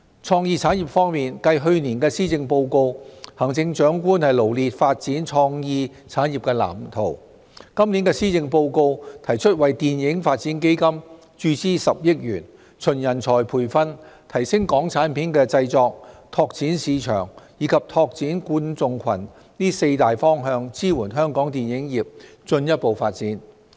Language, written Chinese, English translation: Cantonese, 創意產業方面，繼行政長官在去年的施政報告中臚列發展創意產業的藍圖，今年的施政報告提出為"電影發展基金"注資10億元，循人才培訓、提升港產片製作、拓展市場，以及拓展觀眾群這四大方向支援香港電影業進一步發展。, In respect of the creative industries pursuant to the blueprint set out by the Chief Executive in the Policy Address last year this year the Policy Address has proposed an injection of 1 billion into the Film Development Fund to support further development of the Hong Kong film industry in four broad directions namely nurturing talent enhancing local production market expansion and building audience